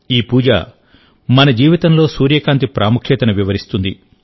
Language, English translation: Telugu, Through this puja the importance of sunlight in our life has been illustrated